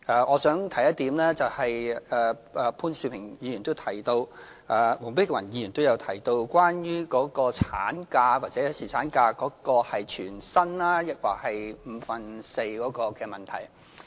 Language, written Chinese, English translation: Cantonese, 我想提一點，潘兆平議員也提到，黃碧雲議員也提到，也就是產假或侍產假是全薪抑或是五分之四的問題。, As regards the question of whether employees should receive full pay or four fifths of their pay for taking maternity leave or paternity leave which was also raised by Mr POON Siu - ping and Dr Helena WONG I merely wish to say that International Labour Convention No